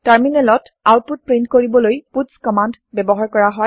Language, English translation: Assamese, puts command is used to print the output on the terminal